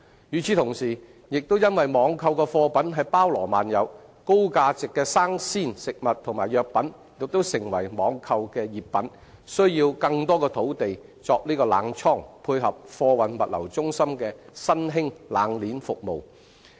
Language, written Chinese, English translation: Cantonese, 與時同時，亦因網購的貨品包羅萬有，高價值的生鮮食物和藥品亦成為網購的熱品，需要更多的土地作冷倉，以配合貨運物流中心的新興"冷鍊"服務。, At the same time with the wide range of products offered online high - value fresh food and medicines have become hot items for online trading . Thus more land is needed for cold storage to cope with the emerging cold chain service of freight forwarding and logistics centres